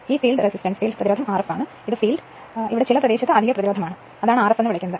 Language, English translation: Malayalam, This is your field resistance R f dash and this is your field and field resistance is R f and this is the additional resistance in certain area, this is call R f dash right